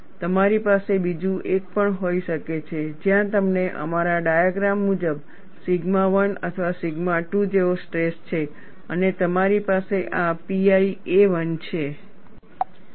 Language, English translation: Gujarati, You could also have another one, where you have the stress as sigma sigma 1 and or sigma 2 in our, as per our diagram and you have this as pi a 1